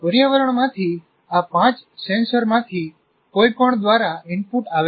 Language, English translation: Gujarati, The input comes from any of these five senses